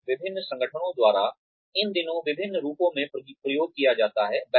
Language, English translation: Hindi, And, is used in various forms these days, by various organizations